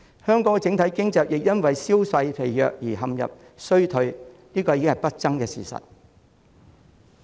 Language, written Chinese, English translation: Cantonese, 香港整體經濟因銷售疲弱而陷入衰退，已經是不爭的事實。, It is an indisputable fact that the overall economy of Hong Kong has been mired in recession due to sluggish sales